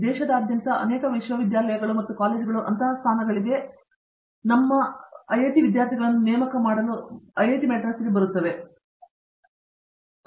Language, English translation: Kannada, And, many universities and colleges from around the country do come to IIT, Madras, to recruit our students for such positions